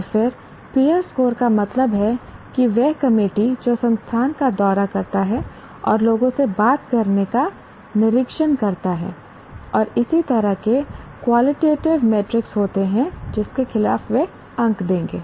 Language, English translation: Hindi, And then peer score means the committee that institutes the institute and inspects talk to people and so on, they are qualitative metrics against that they will give marks